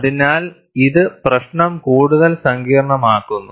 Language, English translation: Malayalam, So, that makes the problem much more complex